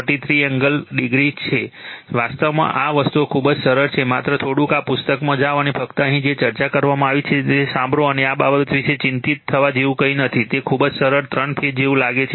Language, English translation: Gujarati, 43 degree, actually this things are very simple just little bit you go through this book and just listen what have been discussed here and nothing to be worried about this thing it seems very simple 3 phase right